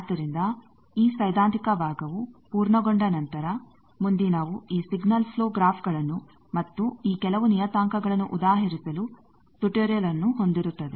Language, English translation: Kannada, So, with that this theoretical part is completed next will have tutorial to exemplify these signals flow graphs and some of these parameters